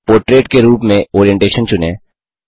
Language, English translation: Hindi, Choose Orientation as Portrait